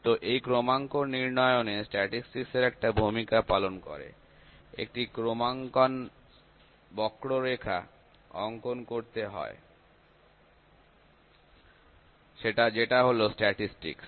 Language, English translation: Bengali, So, in calibration also statistics play a role a calibration curve has to be plotted that is statistics